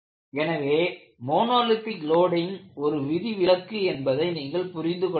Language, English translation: Tamil, So you will have to understand under monotonic loading, it is only an exception